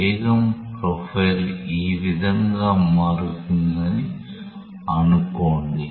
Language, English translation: Telugu, Let us say that the velocity profile varies in this way